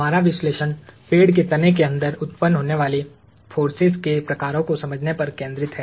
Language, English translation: Hindi, Our analysis is focused on understanding the kinds of forces that are generated inside the tree trunk